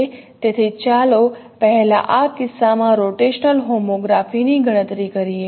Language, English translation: Gujarati, So let us first compute the rotational homography in this case